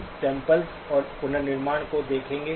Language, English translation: Hindi, We will be looking at sampling and reconstruction